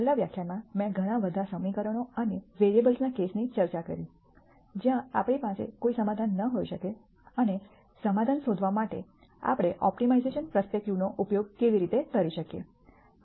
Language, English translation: Gujarati, In the last lecture I discussed the case of many more equations and variables, where we might not have a solution and how we can use an optimization perspective to find a solution